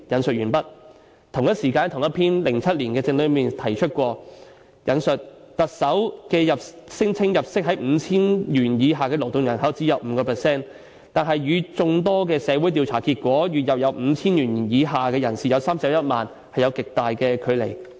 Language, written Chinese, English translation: Cantonese, "在同一篇2007年的政論內提過："特首聲稱入息在 5,000 元以下的勞動人口只有 5%， 但與眾多的社會調查結果：月入 5,000 元以下的人士有31萬，有極大距離。, The same political commentary in 2007 also mentioned The Chief Executive claims that only 5 % of the working population earn an income below 5,000 . However this is greatly different from many of the survey results conducted in the community 310 000 people earn a monthly income below 5,000